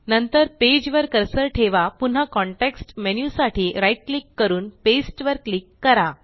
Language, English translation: Marathi, Then, place the cursor on the page, right click for the context menu again and click Paste